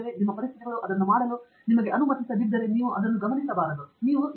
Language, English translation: Kannada, If your conditions are not allowing you to do it, maybe you should not focus on that, you should move to other